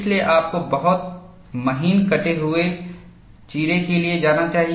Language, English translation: Hindi, So, you should go for a much finer saw cut